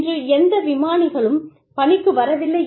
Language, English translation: Tamil, No pilots are coming into work, today